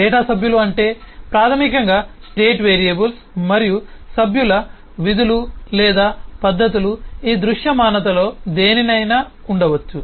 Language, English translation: Telugu, Data members means basically the state variables and the member functions or methods can be into any one of this visibilities